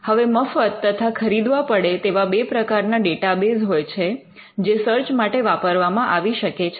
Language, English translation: Gujarati, And there are different databases both free and paid, which could be used for a searching